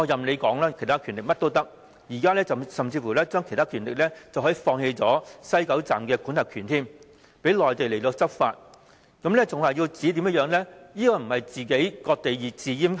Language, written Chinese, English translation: Cantonese, 把其他權力說成甚麼也可以，甚至把其他權力說成是放棄西九站的管轄權，讓內地官員執法，這不是割地自閹又是甚麼？, The other powers can simply be anything and can even be interpreted as surrendering Hong Kongs jurisdiction over WKS to Mainland officials . If this is not the cession of land and self - castration what is it then?